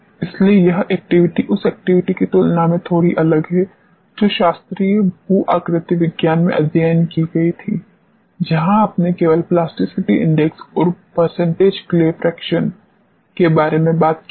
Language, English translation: Hindi, So, this activity is going to be a bit different than the activity which were studied in classical geomechanics, where you talked about only plasticity index and percentage clay fraction